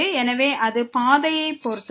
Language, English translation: Tamil, So, it depends on the path